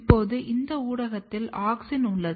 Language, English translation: Tamil, Now, this media has auxin